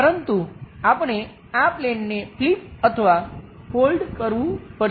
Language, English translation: Gujarati, But we have to flip or fold this page